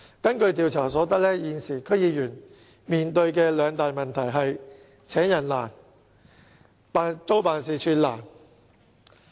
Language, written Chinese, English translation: Cantonese, 根據調查所得，現時區議員面對的兩大問題是"請人難"和"租辦事處難"。, According to the survey at present the two major problems confronting DC members are difficulty in staff recruitment and difficulty in renting offices